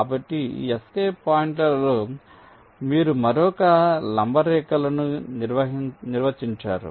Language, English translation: Telugu, so on this escape points, you defined another set of perpendicular lines